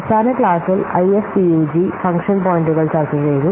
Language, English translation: Malayalam, Last class already we have discussed IFAPUG function points